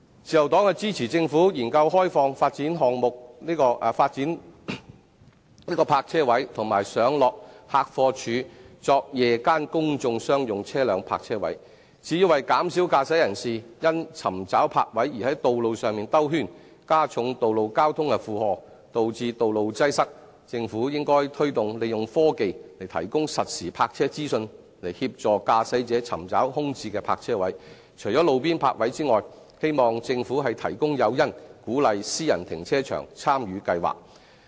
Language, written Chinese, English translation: Cantonese, 自由黨支持政府研究開放發展項目的泊車位及上落客貨處作夜間公眾商用車輛泊車位，至於為減少駕駛人士因尋找泊位而在道路上兜圈，加重道路交通的負荷，導致道路擠塞，政府應推動利用科技提供實時泊車資訊，以協助駕駛者尋找空置的泊車位，除了路邊泊位外，希望政府提供誘因，鼓勵私人停車場參與計劃。, The Liberal Party supports the Governments initiative to study the opening up of parking spaces and loadingunloading bays designated for own use of the development projects concerned and putting them up for night - time public parking of commercial vehicles . In order to reduce the incidence of motorists circulating on roads in search of parking spaces which will add to the burden of road traffic and cause traffic congestion the Government should promote the use of technology to provide motorists with real - time information on parking spaces in order to help them look for vacant parking spaces . Apart from on - street parking spaces I hope that the Government can provide some incentives to encourage participation from private car parks in the scheme